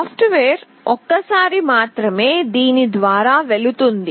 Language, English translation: Telugu, The software only goes through this once